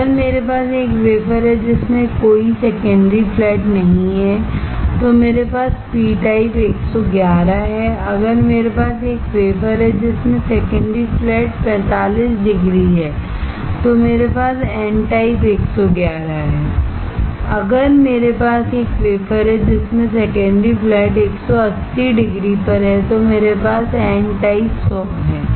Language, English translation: Hindi, If I have a wafer in which there is no secondary flat I have p type 111, if I have a wafer in which the secondary flat is at 45 degree I have n type 111, if I have a wafer in which the secondary flat is at 180 degree then I have n type 100